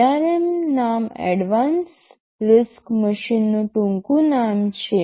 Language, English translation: Gujarati, The name ARM is the acronym for Aadvanced RISC Mmachine